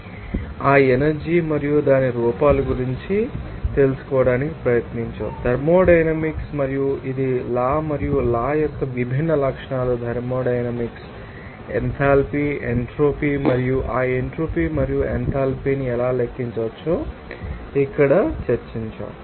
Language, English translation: Telugu, Now in this lecture will try to even know something more about that energy and its forms in this case that, thermodynamics, and it is law and also different properties of law that thermodynamics like enthalpy, entropy and how those entropy and enthalpy can be calculated will be discussed here